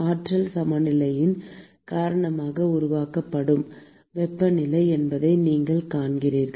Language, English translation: Tamil, Because of the energy balance, you see that there is no heat that is being generated